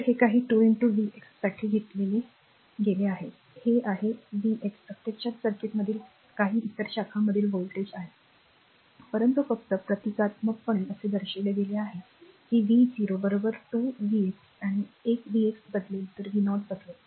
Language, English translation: Marathi, So, it is some 2 into v x is taken for, this is v x actually is the voltage in the circuit across some other branch right, but just symbolically it is shown that v 0 is equal 2 v x, a v x changes then v 0 will change right